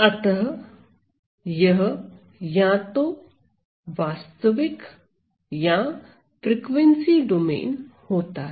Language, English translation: Hindi, So, it could be either in well; real or the frequency domain